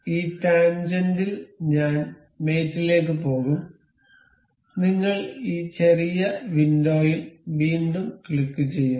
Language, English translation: Malayalam, I will go to mate in this tangent, we click on this small window again